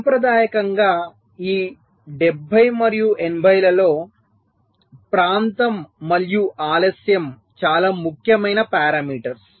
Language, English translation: Telugu, traditionally in this seventies and eighties, area and delay were the most important parameters